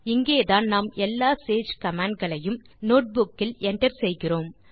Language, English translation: Tamil, This is where we enter all the Sage commands on the notebook